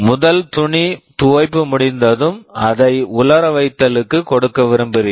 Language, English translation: Tamil, When the first cloth washing is finished, you want to give it for drying